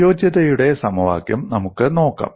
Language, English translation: Malayalam, And we can also look at the equation of compatibility